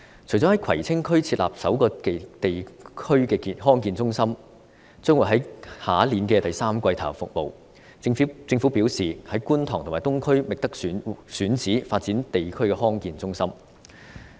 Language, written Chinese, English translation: Cantonese, 除了在葵青區設立首個地區康健中心，可於明年第三季投入服務外，政府表示已在觀塘和東區覓得選址發展地區康健中心。, In addition to setting up the first District Health Centre in Kwai Tsing District which can be commissioned around the third quarter of next year the Government has indicated that it has already identified suitable locations in Kwun Tong and the Eastern District to set up District Health Centres